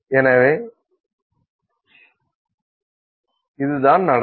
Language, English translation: Tamil, So, how does this happen